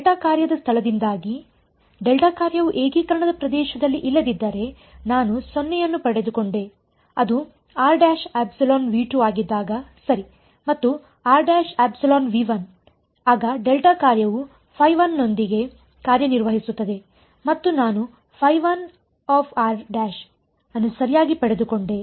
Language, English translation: Kannada, Because of location of the delta function; if the delta function was not in the region of integration then I got a 0 which happened when r prime was in V 2 right and when r prime was in V 1 then the delta function acted with phi 1 and I got phi 1 r prime right